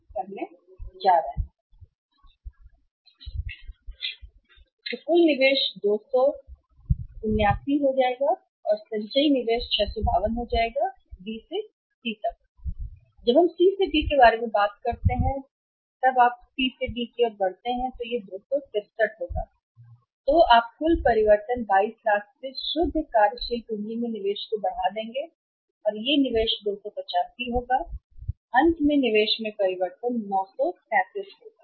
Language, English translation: Hindi, Then we talk about C to D right when you move from C to D then it will be 263 this is 263 then you will be increasing investment in the net working capital by 22 lakhs total change and investment will be 285 and finally the change in investment will be 937